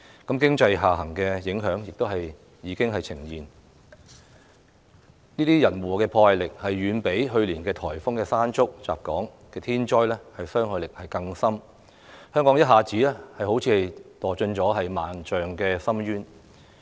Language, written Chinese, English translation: Cantonese, 經濟下行的影響已經呈現，這些人禍的破壞力，遠較去年颱風"山竹"襲港的天災傷害更深，香港仿如一下子墮進萬丈深淵。, The impact of an economic downturn has already emerged . This man - made disaster is even more destructive than the natural disaster typhoon Mangkhut last year . Hong Kong seems to have fallen into an abyss all of a sudden